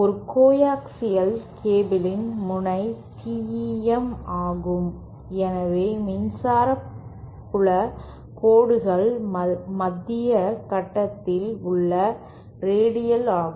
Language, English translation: Tamil, In a coaxial cable, the node is TEM and therefore the electric field lines are radial on the central conductor